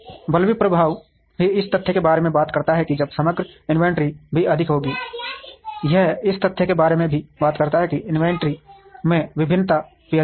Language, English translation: Hindi, Bullwhip effect also talks about the fact that while the overall inventory would also be higher, it also talks about the fact that the variation in inventory would also be higher